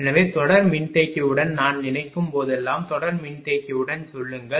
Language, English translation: Tamil, So, whenever when I suppose with series capacitor say with series capacitor